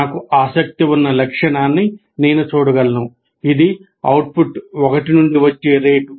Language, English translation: Telugu, The characteristic that I'm interested is the rate at which the output falls from 1